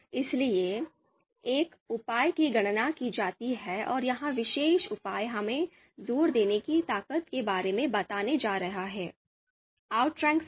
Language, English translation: Hindi, So one measure is computed and this particular measure is going to tell us about the strength of the assertion a outranks b